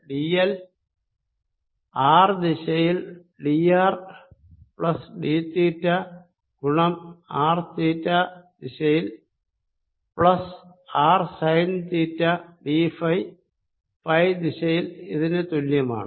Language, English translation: Malayalam, i get line element d: l is equal to d r in r direction, plus d theta times r in theta direction, plus r sine theta d phi in phi direction